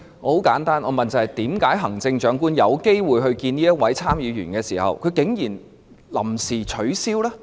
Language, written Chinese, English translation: Cantonese, 很簡單，我問的是為何行政長官有機會與這位參議員會面，但竟然臨時取消？, my question is simple . Why did the Chief Executive who had the opportunity to meet with the Senator suddenly call off the meeting?